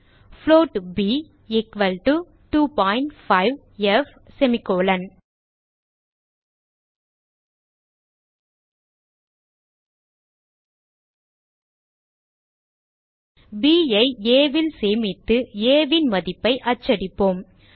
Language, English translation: Tamil, Remove the 5 float b equal to 2.5f and let us store b in a and print the value of a